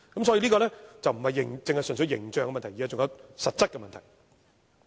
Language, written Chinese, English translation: Cantonese, 所以，這並非純粹是形象問題，還有實質的問題。, Hence this is not simply a problem about its image . There are also practical problems